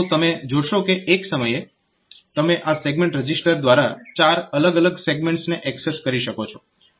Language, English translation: Gujarati, So, you can access four different segments by through this segment register